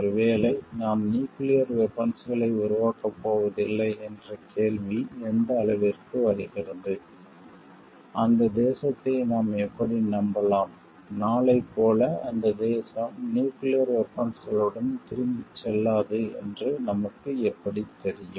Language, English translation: Tamil, And maybe we are not going for developing a nuclear weapons question comes to what extent, we can trust that nation how do we know like tomorrow that nation is not going to he just back with the nuclear weapons